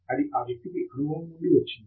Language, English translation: Telugu, That has come out of experience